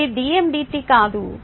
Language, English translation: Telugu, this is not dm dt